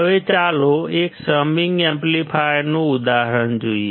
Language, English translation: Gujarati, Now, let us see an example of a summing amplifier